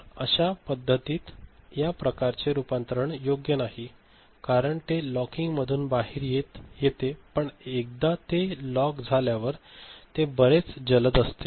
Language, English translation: Marathi, So, in such a case, in such situation, this kind of conversion is not suitable, because it comes out of the locking right, once it is locked it is very fast